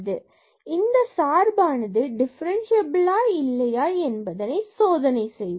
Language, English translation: Tamil, So, we will check whether this function is differentiable at origin